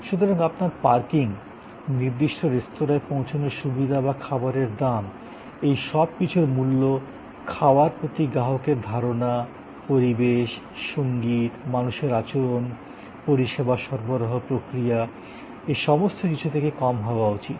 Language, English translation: Bengali, So, your parking is, ease of reaching the particular restaurant or in the price that the customer has paid after the meal all that must be less than the customer perception of the food, the ambiance, the music, the behavior of people everything and the service delivery process